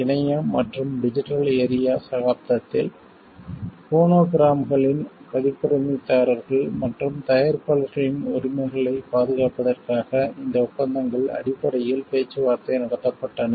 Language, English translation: Tamil, these treaties were negotiated essentially to provide for protection of the rights of copyright holders performers and producers of phonograms in the internet and digital area era